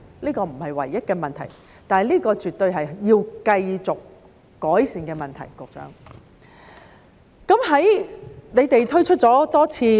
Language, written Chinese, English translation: Cantonese, 這不是唯一的問題，但這絕對是要繼續改善的問題，局長。在你們推出了多次......, No it is not the only problem but it is definitely a problem that warrants continuous improvement Secretary